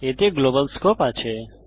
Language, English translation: Bengali, It has a global scope